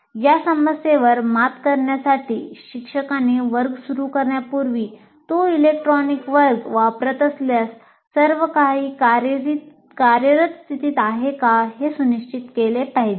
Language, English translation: Marathi, So one of the major issues is the teacher has to make sure that if it is using an electronic classroom that everything is in working condition before you start the class